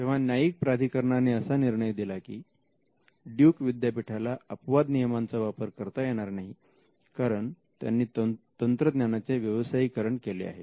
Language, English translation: Marathi, So, the appellate court held that the research exception would not be open to Duke University because, of the fact that it commercializes the technology